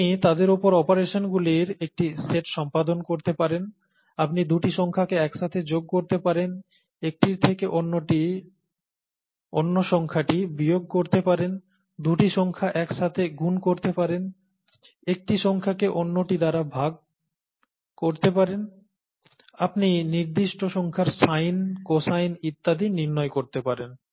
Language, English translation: Bengali, You can perform a set of operations on them, you can add two numbers together, you can subtract one number from another, you can multiply two numbers together, you can divide one number by another, you can; if after a certain while, you can take the sine of certain numbers, cosine of certain numbers, and so on so forth